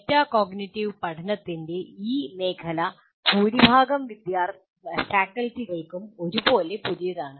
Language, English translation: Malayalam, This area, metacognitive learning, is somewhat new to majority of the faculty